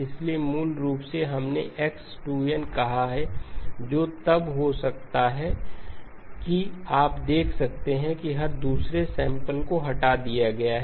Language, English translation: Hindi, So basically we have called it as x of 2n which can be then you can see that every other sample has been removed